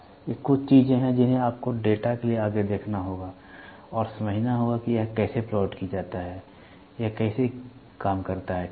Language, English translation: Hindi, These are some of the things which you will have to look forward for data and understand how is it plotted how does it work, ok